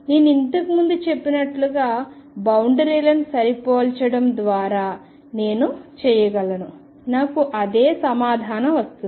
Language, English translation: Telugu, I could do it as I said earlier by matching the boundaries I will get the same answer